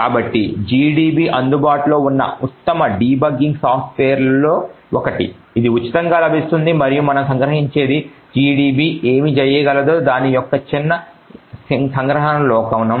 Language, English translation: Telugu, So gdb is one of the best debugging softwares that are available, it is freely available and what we actually capture is just the small glimpse of what gdb can do